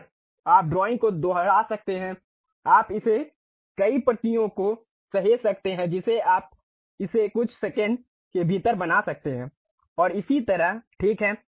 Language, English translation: Hindi, And, you can repeat the drawing you can save it multiple copies you can make it within fraction of seconds and so on, ok